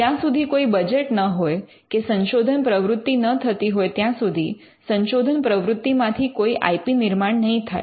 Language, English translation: Gujarati, So, unless there is a budget or unless there is research activity there will not be any IP that comes out of research activity